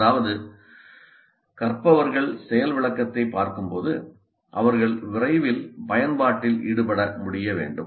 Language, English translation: Tamil, That means as the learners see the demonstration, they must be able to engage in the application as quickly as possible